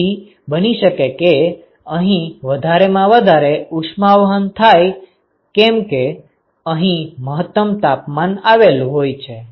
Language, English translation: Gujarati, So, it is possible that there is maximum heat transport here because, the temperature get in this maximum here